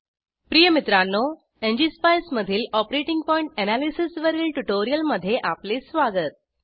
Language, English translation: Marathi, Dear Friends, Welcome to this spoken tutorial on Operating point analysis in ngspice